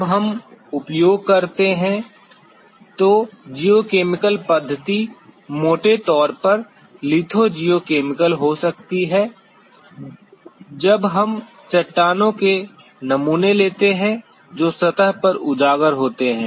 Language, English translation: Hindi, The geochemical methods that we use can be broadly a litho geochemical when we take the samples of the rocks which are exposed on the surface